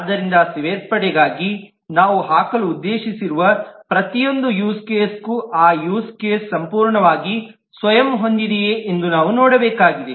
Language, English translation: Kannada, So for include, we will need to look at for each and every use case that we intend to put whether that use case is completely self contained